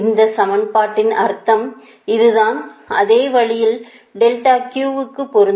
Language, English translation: Tamil, so that means this is the meaning of this equation